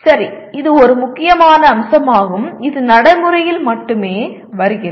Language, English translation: Tamil, Okay, this is a major aspect and it comes only with the practice